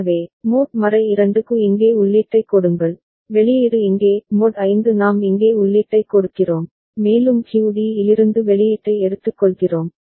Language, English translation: Tamil, So, for mod 2 give input here, output here; mod 5 we give input here, and we take the output from QD right